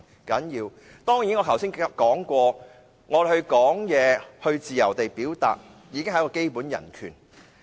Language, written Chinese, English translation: Cantonese, 正如我剛才所說，我們可以自由表達意見，已經是基本人權。, As I said just now the right to express ourselves freely is already a basic human right